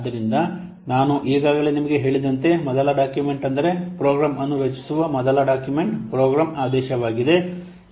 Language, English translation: Kannada, So as I have already told you, the first document, the first document for creating a program is a program mandate